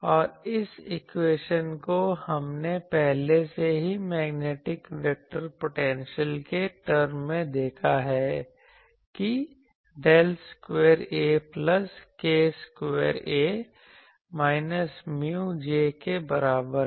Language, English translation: Hindi, And this equation already we have seen this equation earlier in terms of magnetic vector potential that del square A plus k square A is equal to minus mu J